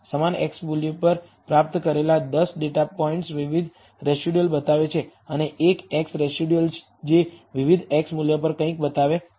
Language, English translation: Gujarati, The 10 of the data points obtained at the same x value are showing different residuals and the one single residual at a different x value showing something